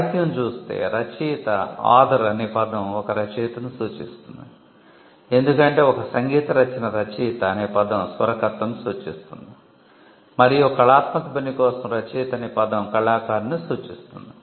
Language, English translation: Telugu, The term author refers to the author of a work when it comes to literary automatic work, for a musical work author refers to the composer and for an artistic work the word author refers to the artist